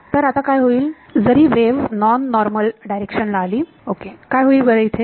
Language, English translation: Marathi, So, what will happen now even if the wave comes at a non normal direction what will happen